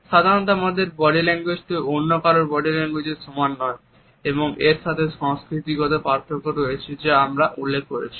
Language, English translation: Bengali, Our body language is not a duplicate of anyone else’s body language normally and at the same time there are cultural differences also as we have referred to